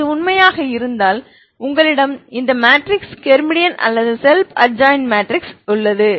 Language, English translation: Tamil, So if this is true you have this matrices Hermitian, ok or self adjoint ok or self adjoint matrix, self adjoint matrix, ok